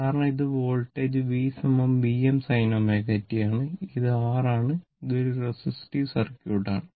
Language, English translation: Malayalam, Because, this is the voltage V is equal to V m sin omega t and this is the R it is a resistive circuit